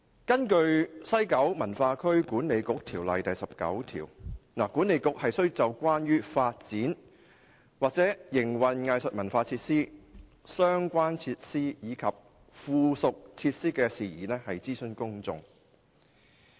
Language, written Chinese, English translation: Cantonese, 根據《西九文化區管理局條例》第19條，西九文化區管理局須就關於發展或營運藝術文化設施、相關設施及附屬設施的事宜諮詢公眾。, According to section 19 of the West Kowloon Cultural District Authority Ordinance the West Kowloon Cultural District Authority WKCDA shall in relation to matters concerning the development or operation of arts and cultural facilities related facilities ancillary facilities consult the public